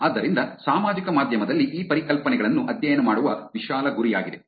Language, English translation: Kannada, So, that is the broader goal of studying these concepts on social media